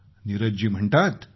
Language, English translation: Marathi, Neeraj ji has said